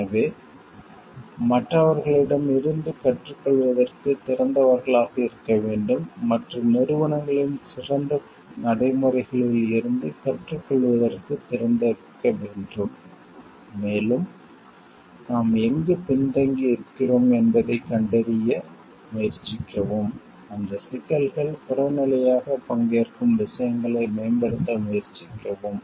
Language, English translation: Tamil, So, we should be open to learn from others we should be open to learn from the best practices of other organization and, try to find out, where we are behind and try to improve what that issues participate objectively